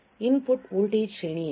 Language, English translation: Kannada, What is the input voltage range